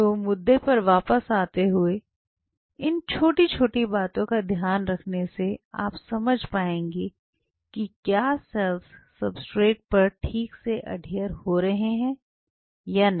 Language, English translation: Hindi, So, coming back based on these small queues you can you will be able to figure out whether the cells are properly adhering on that substrate or not